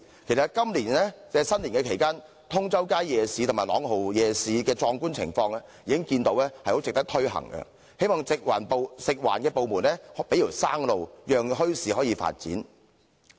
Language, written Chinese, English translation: Cantonese, 其實，今年新年期間，通州街夜市和朗豪夜市的壯觀情況，已足見值得推行，希望食環部門給一條生路，讓墟市可以發展。, In fact during this years Lunar New Year holiday the spectacular Tung Chau Street night market and Langham night market proved that it was worthy to introduce night markets . I hope that the department in charge of food and environmental hygiene will offer a way out to facilitate the development of bazaars